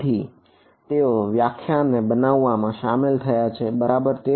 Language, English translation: Gujarati, So, they get involved in constructing this definition ok